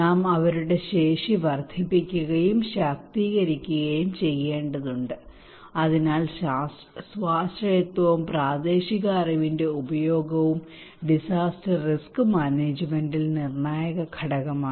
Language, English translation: Malayalam, We need to enhance, empower their capacity so self reliance and using a local knowledge are critical component in disaster risk management